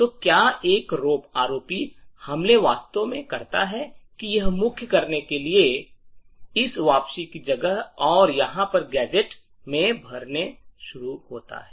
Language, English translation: Hindi, So, what an ROP attack actually does, is that it replaces this return to main and starts filling in gadgets over here